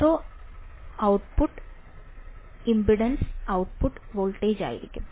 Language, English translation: Malayalam, Zero output impedance will be the output voltage